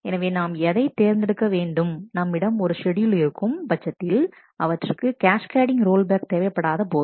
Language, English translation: Tamil, So, what we would prefer is if we could have schedules where such cascading roll back is not required